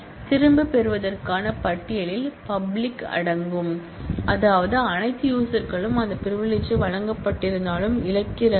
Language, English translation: Tamil, The list of revoking can include public which means all users lose that privilege and or though those were granted